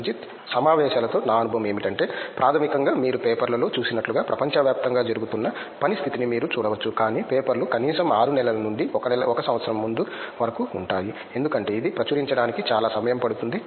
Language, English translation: Telugu, Hi my experience with the conference is that basically you get to see the state of work that is happening all over the world like we see in the papers, but the papers will be at least 6 months to 1 year old at least because it takes a lot of time for it to get published